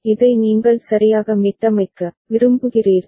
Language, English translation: Tamil, This is the one with which you want to reset it ok